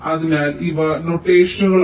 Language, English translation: Malayalam, so lets understand the notations